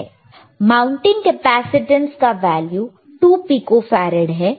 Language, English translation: Hindi, iIt is mounting capacitance is 2 pico farad